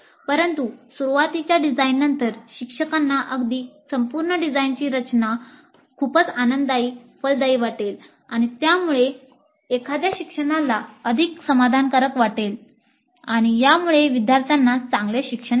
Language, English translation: Marathi, But after the initial design, the teacher would even find the entire process of course is very pleasant, fruitful and it would lead to an instruction which is more satisfactory and it would lead to better student learning